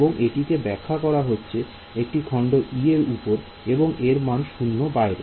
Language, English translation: Bengali, So, this is defined only over element e and it is zero outside